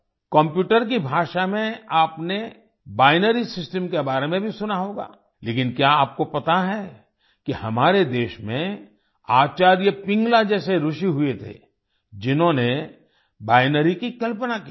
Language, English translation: Hindi, You must have also heard about the binary system in the language of computer, butDo you know that in our country there were sages like Acharya Pingala, who postulated the binary